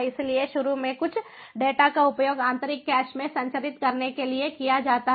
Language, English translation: Hindi, so initially, few data are used to transmit to the internal cache